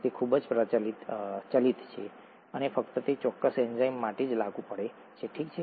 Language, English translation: Gujarati, It is highly variable and applicable only for that particular enzyme, okay